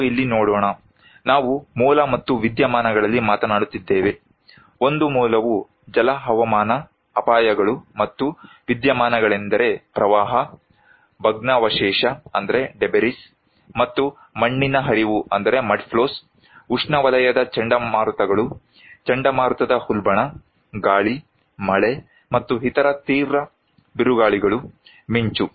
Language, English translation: Kannada, Let us look here, we are talking in the origin and the phenomena; one origin is hydro meteorological hazards and the phenomena’s are flood, debris and mudflows, tropical cyclones, storm surge, wind, rain and other severe storms, lightning